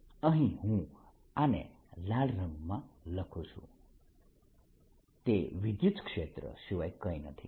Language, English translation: Gujarati, let me show this here in the red is nothing but the electric field